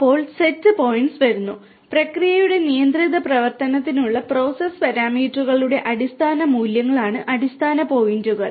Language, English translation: Malayalam, Then, comes the Set Points; set points are basically the standard values of the process parameters for controlled operation of the process